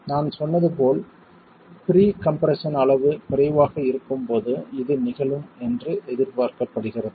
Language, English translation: Tamil, As I said this is expected to occur when the level of pre compression is low